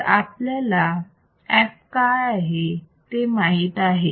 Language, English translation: Marathi, So, what does f H equals to